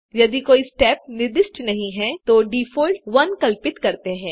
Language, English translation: Hindi, If no step is specified, a default value of 1 is assumed